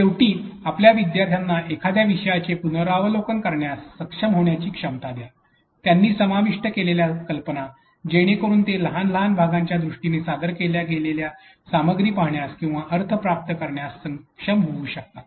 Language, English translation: Marathi, Lastly, give you a learners the ability to be able to review a topic, the ideas they have covered, so that they can be able to see or make sense of the materials that has been presented in terms of bit sized chunks of smaller smaller pieces